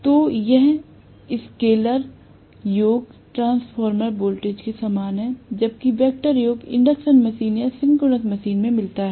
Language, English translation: Hindi, So, I have to this scalar sum is similar to the transformer voltage, whereas the vector sum is whatever I get in induction machine or synchronous machine